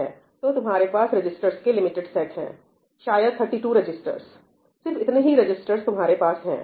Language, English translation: Hindi, You only have a limited set of registers, maybe just 32 registers, that’s just about all you have